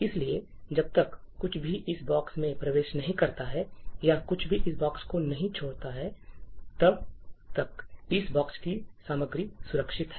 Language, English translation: Hindi, So, as long as nothing enters this box or nothing leaves this box the content of this box is safe